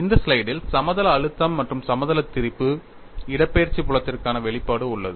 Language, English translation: Tamil, In this slide, you have the expression for the plane stress as well as for plane strain the displacement field